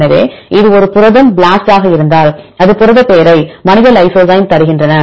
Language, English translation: Tamil, So, if it is a protein BLAST, because this I give the protein name human lysozyme